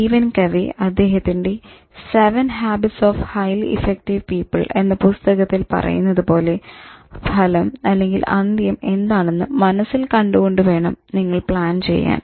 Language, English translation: Malayalam, You have to think, as Stephen Covey talks about in his seven habits of highly effective people, that he says that you should plan with the end in mind